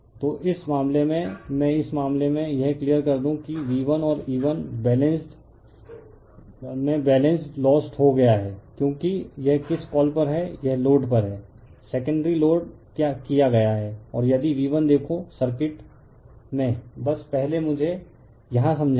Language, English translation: Hindi, So, in this case let me clear it in this case that V 1 and E 1 balance is lost because it is on it is on your what you call, it is on loaded, secondary side is loaded the and and V 1 if you look into the circuitjust first let me explain here